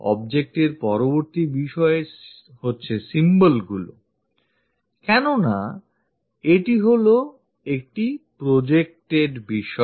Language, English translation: Bengali, Next to the object by these symbols because it is a projected one